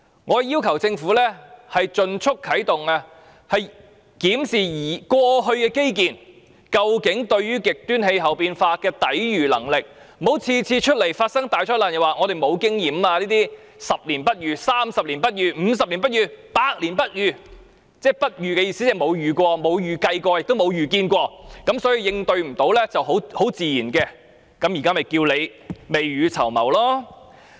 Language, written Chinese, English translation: Cantonese, 我要求政府盡快啟動研究，檢視現時的基建究竟對極端氣候變化有何抵禦能力，不要每次發生大災難後就說本港沒有經驗，說這是10年、30年、50年、100年不遇的情況，意思即是政府不曾遇到及沒有預計有關情況，因而無法應對也很正常。, I request the Government to commence a study as soon as possible to examine the capabilities of existing infrastructures to withstand extreme weather . The Government should not keep saying after each disaster that Hong Kong has no relevant experience as the disaster only happened once in 10 30 50 or even 100 years implying that the Government has never encountered and anticipated the situation and hence it was normal that it could not cope with the situation